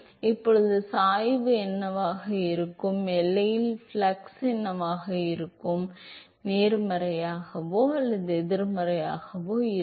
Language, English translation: Tamil, So, now, what will be the gradient, what will be the flux at the boundary, will it be positive or negative